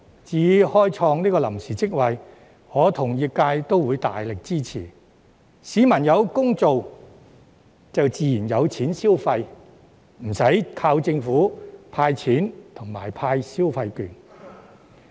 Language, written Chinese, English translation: Cantonese, 至於開創臨時職位，我與業界均大力支持，市民有工開便自然有錢消費，不用靠政府"派錢"及派消費券。, The industry and I strongly support the creation of time - limited jobs . When people are employed they will naturally have money to spend and they do not need to rely on the Governments cash handouts and consumption vouchers